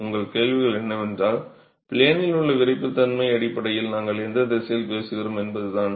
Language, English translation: Tamil, So your question is about the, in which direction are we talking about in terms of the in plane stiffness